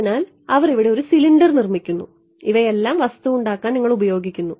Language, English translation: Malayalam, So, they making a cylinder over here all of this is what you would do to make the object ok